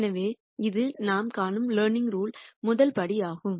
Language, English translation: Tamil, So, this is a rst step of the learning rule that we see